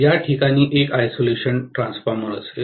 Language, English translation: Marathi, There will be an isolation transformer at this point